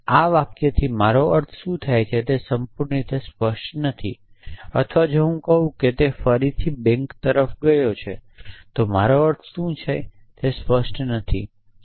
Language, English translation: Gujarati, It is not clear entirely what I mean by this sentence or if I say he went towards the bank again it is not clear what I mean